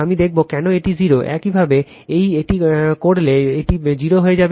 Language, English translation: Bengali, I will show why it is 0, if you do it, it will become 0